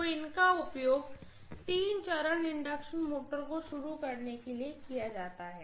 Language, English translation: Hindi, So these are used for starting three phase induction motors, right